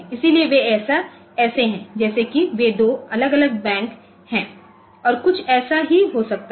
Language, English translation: Hindi, So, they are as if they can they are two different banks and some something like that